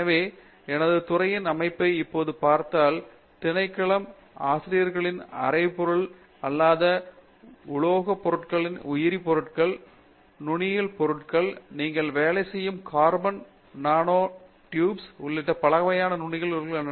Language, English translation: Tamil, So, if I now look at the composition of my department, half of the department faculty members work on non metallic materials areas and as a result materials such as, biomaterials, nanomaterials okay; variety of nanomaterials including carbon nanotubes which you yourself work on